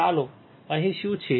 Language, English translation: Gujarati, Let us see here what is here